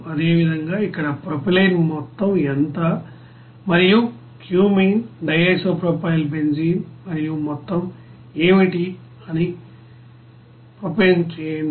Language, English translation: Telugu, Similarly for here propylene what will be the amount, propane what will be the amount and cumene DIPB and total what will be that